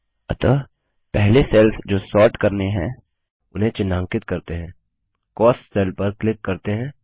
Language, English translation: Hindi, So first, we highlight the cells to be sorted by clicking on the cell Cost